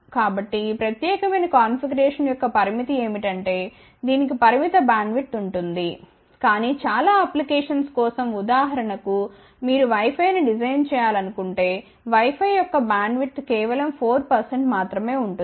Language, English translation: Telugu, So, the limitation of this particular configuration is that, it will have a limited bandwidth, but for many applications for example, if you are designing something for let us say wi fi ok, wi fi has a bandwidth of only about 4 percent